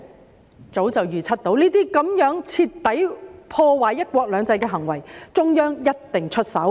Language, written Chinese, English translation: Cantonese, 我早已預測對於這些徹底破壞"一國兩制"的行為，中央一定會出手。, I predicted long ago that the Central Authorities would take action against these acts which aimed to completely destroy one country two systems